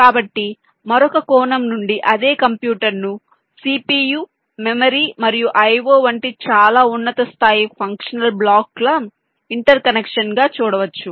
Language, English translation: Telugu, so from another angle, the same computer can be viewed as an inter connection of very high level functional blocks like c